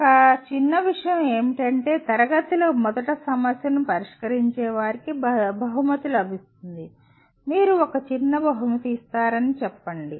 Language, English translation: Telugu, A trivial thing is you can say those who solve the problem first in the class can be rewarded by let us say you give a small reward